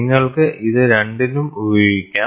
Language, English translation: Malayalam, You can use this for both